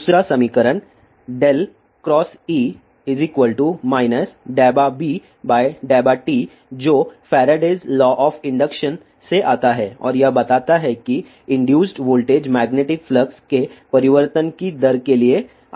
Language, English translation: Hindi, The second equation is del cross E is equal to minus dou B by dou t which comes from the faradays law of induction and it states that the voltage induced is proportional to the rate of change of magnetic flux